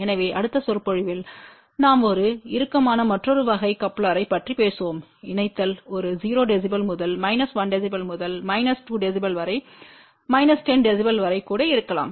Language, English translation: Tamil, So, in the next lecture we will talk about another type of a coupler where we can get a tighter coupling may be even a 0 db to minus 1 db to minus 2 db up to about minus 10 db